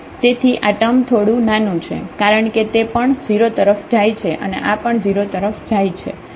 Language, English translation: Gujarati, So, this term is pretty smaller because this is also going to 0 and this is also going to 0